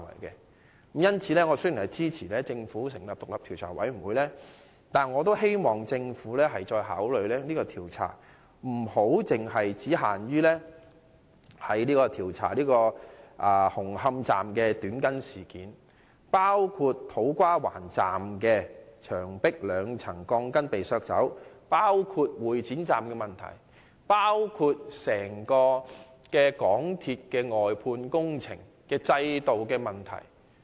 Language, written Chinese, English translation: Cantonese, 因此，雖然我支持政府成立調查委員會，但我也希望政府考慮擴大調查範圍，不單調查"紅磡站的短筋事件"，亦應調查土瓜灣站月台牆壁被削去兩層鋼筋的事件、會展站的問題，以及港鐵公司外判工程制度的問題。, Therefore although I support the Government in setting up a Commission of Inquiry I hope the Government will consider expanding the scope of inquiry so that the Commission of Inquiry will not only inquire into the cutting of steel bars at Hung Hom Station but also the removal of two layers of steel bars from the platform wall at To Kwa Wan Station the defects of Exhibition Centre Station and the outsourcing system of MTRCL